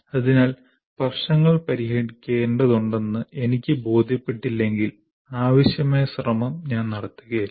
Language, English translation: Malayalam, So unless I am convinced that I need to solve problems, I will not put the required effort